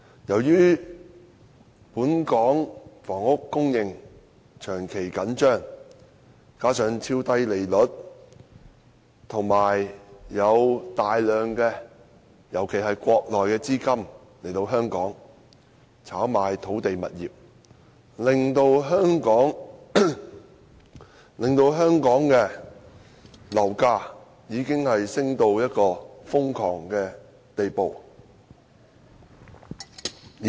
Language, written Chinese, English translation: Cantonese, 由於本港房屋供應長期緊張，加上超低利率，以及大量資金流入，尤其是國內資金來港炒賣土地物業，香港的樓價已升至瘋狂的地步。, Given the long - standing tight supply of housing in Hong Kong the extremely low interest rates and the influx of large amounts of capital particularly capital from the Mainland for land and property speculation in Hong Kong property prices in Hong Kong have risen to crazy levels